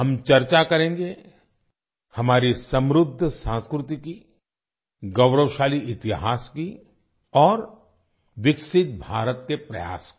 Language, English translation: Hindi, We will discuss our rich culture, our glorious history and our efforts towards making a developed India